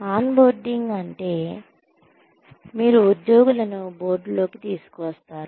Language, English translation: Telugu, On boarding means, you bring the employees on board